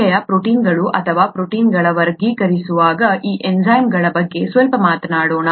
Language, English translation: Kannada, Let us talk a little bit about these enzymes which are specialised proteins or a class of proteins